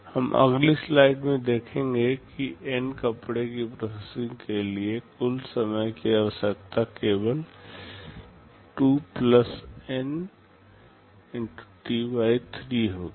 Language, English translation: Hindi, We shall be seeing in the next slide that for processing N number of clothes the total time required will be only (2 + N) T / 3